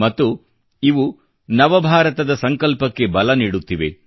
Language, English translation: Kannada, It will prove to be a milestone for New India